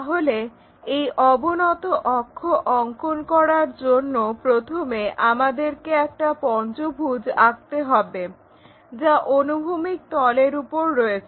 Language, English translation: Bengali, So, to do that inclined axis first of all what we will do is we will construct a pentagon resting on this horizontal plane